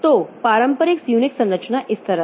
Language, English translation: Hindi, So, traditional Unix structure is like this